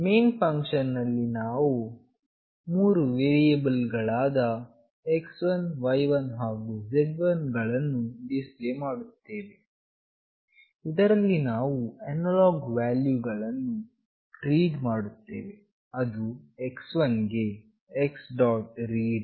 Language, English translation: Kannada, In the main function we define three variables x1, y1 and z1, where we are reading the analog value x1 using the function x